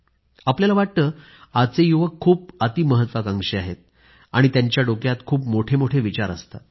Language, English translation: Marathi, We feel that the youths are very ambitious today and they plan big